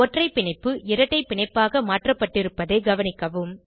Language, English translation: Tamil, Observe that the single bond is converted to a double bond